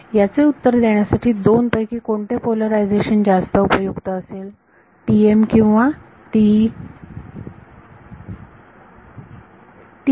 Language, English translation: Marathi, So, which of the two polarizations will be more interesting to answer this question TM or TE